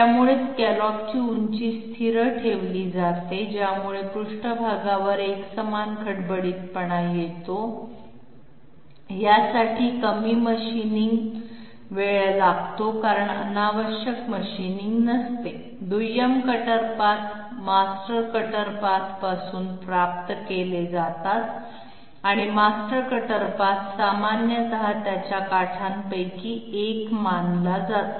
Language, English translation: Marathi, So scallop height is kept constant, which leads to uniform surface roughness, this requires less machining time because there is no redundant machining, secondary cutter paths are derived from master cutter path and the master cutter path is generally taken to be one of the edges of the surface